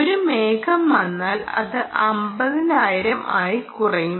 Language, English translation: Malayalam, if a cloud comes, it will be down to fifty thousand